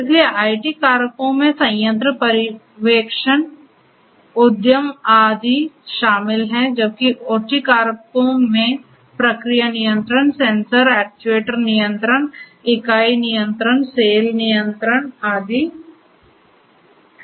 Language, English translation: Hindi, So, IT factors include plant supervision, enterprise and so on whereas, the OT factors include process control, sensor actuator control, unit control, call control and so on